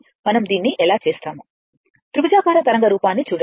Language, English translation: Telugu, And, this one, now next one is this is triangular waveform